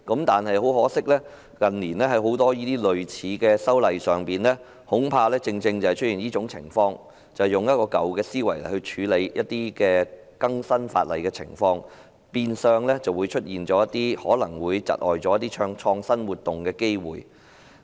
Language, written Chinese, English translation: Cantonese, 但是，很可惜，近年很多類似的法例修訂正正出現這種情況，便是用舊思維來更新法例，變相出現可能窒礙創新活動的機會。, However regrettably many similar legislative amendments in recent years have precisely faced with the problem of updating the legislation with an old mindset which in turn might hinder innovative activities